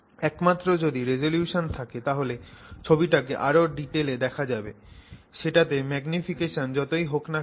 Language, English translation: Bengali, So, only if you have resolution, you can see the detail in that object, that whatever it is that you have magnified